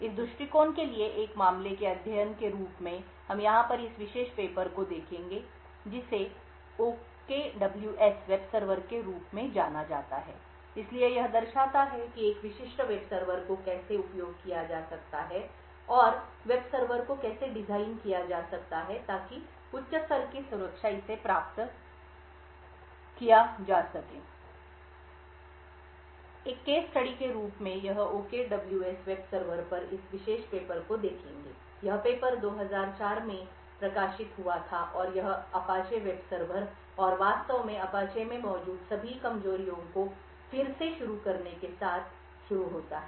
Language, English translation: Hindi, As a case study for this approach we would look at this particular paper over here which designs something known as the OKWS web server, so it shows how a typical web server can be exploited and how a web server can be then designed so as to get higher levels of security, as a case study we would look at this particular paper on the OKWS web server, so this paper was published in 2004 and it starts off with actually redoing the Apache web server and all the vulnerabilities that were present in the Apache web server in 2004 and it also provides a design for a better approach for designing a web server